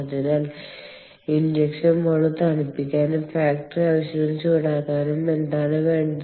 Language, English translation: Malayalam, we need to cool the injection mold and then we need to heat up the factory